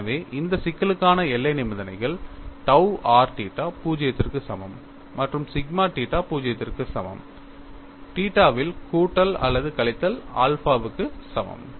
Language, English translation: Tamil, So, the boundary conditions for this problem are tau r theta is equal to 0 and sigma theta equal to 0, at theta equal to plus r minus alpha